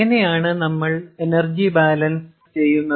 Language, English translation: Malayalam, how do we do energy balance